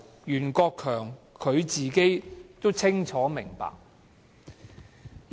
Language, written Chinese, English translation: Cantonese, 袁國強本身清楚明白這一點。, Rimsky YUEN was well aware of this point